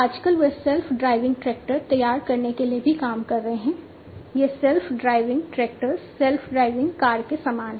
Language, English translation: Hindi, So, nowadays they are also working on coming up with self driving tractors, so something very similar to the self driving cars self driving tractors